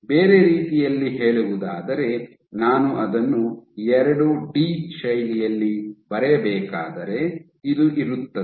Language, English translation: Kannada, So, in other words if I were to draw it in a 2 D fashion, this is what you will have